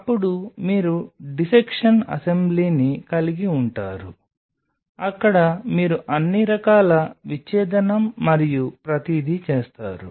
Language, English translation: Telugu, Then you have a dissection assembly where you do all sorts of dissection and everything